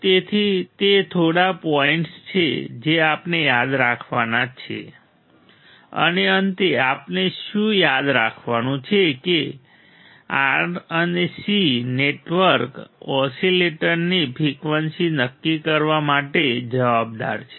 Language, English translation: Gujarati, So, that are the few points that we have to remember and finally, what we have to remember that the R and C network is responsible for determining the frequency of the oscillator